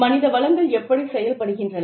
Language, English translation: Tamil, Why human resources function